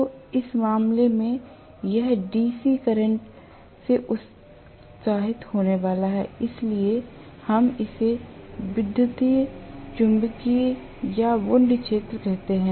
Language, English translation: Hindi, So, in which case, it is going to be excited by DC current, so we call this as an electromagnetic or wound field